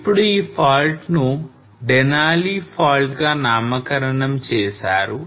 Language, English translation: Telugu, Now this fault is named as Denali fault